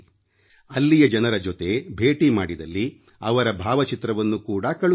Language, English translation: Kannada, If you happen to meet people there, send their photos too